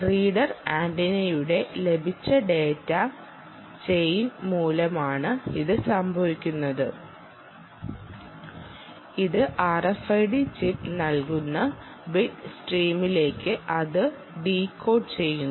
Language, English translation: Malayalam, that is caused by the received chain of the reader antenna and that essentially decodes it into the bit stream that is given by the r f i d chip